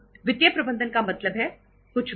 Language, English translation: Hindi, Financial management means complete, nothing